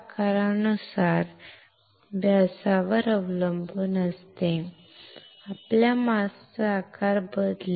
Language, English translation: Marathi, So, depending on the size of the wafer, depending on the diameter of the wafer your mask size would change